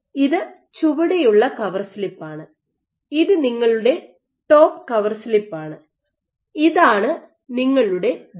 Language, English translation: Malayalam, So, this is your bottom cover slip and this is your top core slip and this is the gel that you found